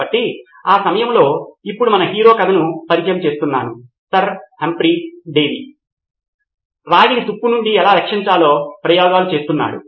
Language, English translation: Telugu, So at that time now introduce our hero the story, Sir Humphry Davy was experimenting how to protect copper from corrosion